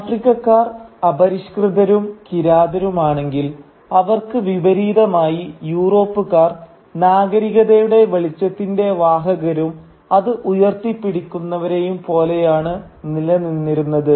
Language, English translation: Malayalam, And if the Africans were savages and barbarians, then by contrast the Europeans started looking like very convincingly the upholders and carriers of the light of civilisation